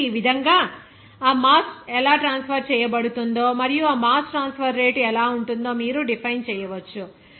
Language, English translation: Telugu, So, in this way, you can define how that mass is transferred and what will be the rate of that mass transfer, how it can be expressed